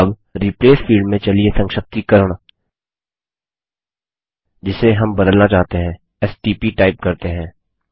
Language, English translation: Hindi, Now in the Replace field let us type the abbreviation which we want to replace as stp